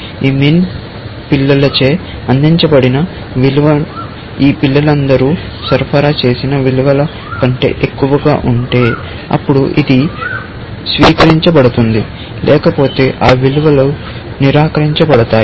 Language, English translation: Telugu, If the value supplied by this min child is higher than the values supplied by all these children, then this would be adopted; otherwise, those values would be adopted